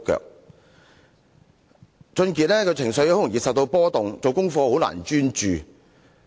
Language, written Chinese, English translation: Cantonese, 王俊傑的情緒極易受到波動，難以專注做功課。, WONG got emotional easily and could not focus on his homework